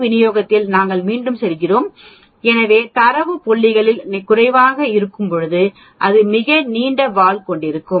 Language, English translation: Tamil, We go back again in the t distribution so when the data points are less, it will have very long tail